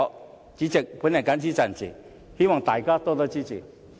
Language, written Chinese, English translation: Cantonese, 代理主席，我謹此陳辭，希望大家多多支持。, With these remarks Deputy President I look forward to Members strong support